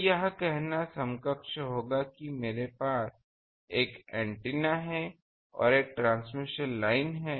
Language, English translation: Hindi, So, this equivalently, will say that we have an antenna and I have a transmission line